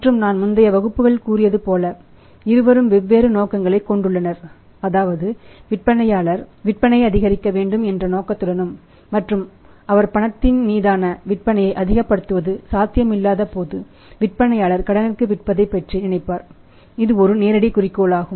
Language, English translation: Tamil, And both have the different motives I told you sometime in the previous classes that the motive of seller is that he wanted to maximize the sales and when it is not possible to it maximize the sales on cash then he can think of selling it on the credit this is a direct one objective